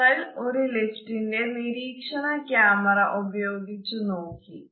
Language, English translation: Malayalam, We took over this elevator security camera to find out